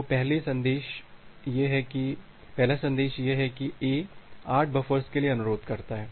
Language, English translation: Hindi, So, the first message is that A request for the 8 buffers